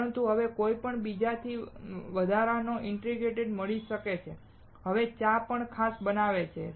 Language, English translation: Gujarati, But you may find an extra ingredient in the from someone else, and make the tea even special